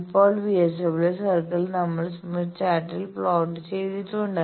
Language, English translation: Malayalam, Now VSWR circle we have plotted on the Smith Chart